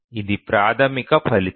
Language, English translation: Telugu, This is the basic result